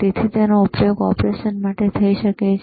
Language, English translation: Gujarati, So, it can be used for operation